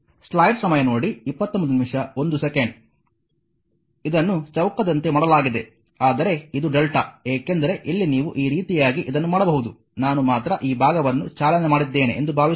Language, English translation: Kannada, It is made it like a square, but this is a delta connection because here you here you can make this connection like this right suppose only I have driving this portion